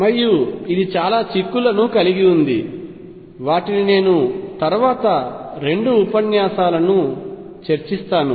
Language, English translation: Telugu, And this has implications which I will discuss a couple of lectures later